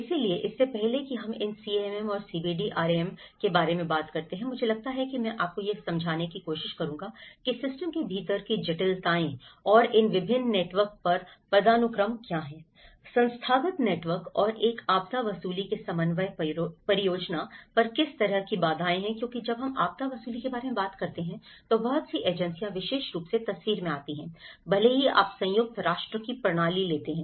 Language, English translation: Hindi, So, before we talk about these CAM and CBDRM, I think I will try to explain you what are the complexities within the system and the hierarchies on these different networks; the institutional networks and what are the kind of constraints on coordination and planning of a disaster recovery because when we talk about disaster recovery, a lot of agencies comes into the picture especially, even if you take the system of UN; United Nations so, there been a number of bodies coming